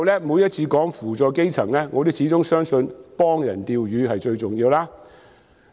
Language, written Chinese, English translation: Cantonese, 每次談及扶助基層的時候，我始終相信"幫人釣魚"是最重要的。, Whenever we talk about helping the grass roots I always believe that it is most important to help them do fishing